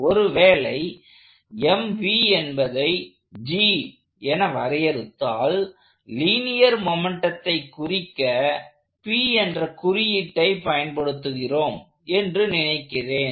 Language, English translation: Tamil, So, if I now define G has m times v, I think we use the subscript P to denote linear momentum